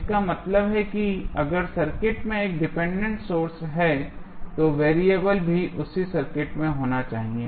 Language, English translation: Hindi, That means if there is a dependent source in the circuit, the variable should also be in the same circuit